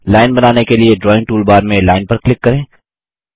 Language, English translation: Hindi, To draw a line, click on Line in the Drawing toolbar